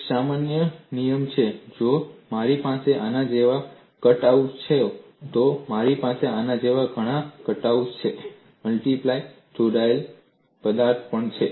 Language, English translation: Gujarati, One simple thumb rule is, if I have cutouts like this, I have many cutouts like this; this is the multiply connected object